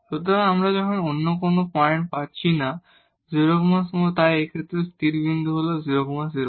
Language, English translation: Bengali, So, we are not getting any other point then 0 0, so a stationary point in this case is 0 0